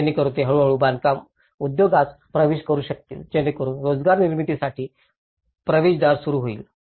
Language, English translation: Marathi, So that, they can gradually get on into the construction industry so that it could also open a gateway for the employment process